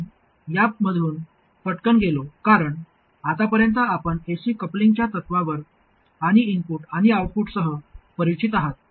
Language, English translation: Marathi, I went through this pretty quickly because by now we are familiar with the principles of AC coupling at the input and output